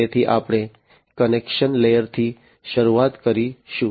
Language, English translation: Gujarati, So, we will start from the very bottom connection layer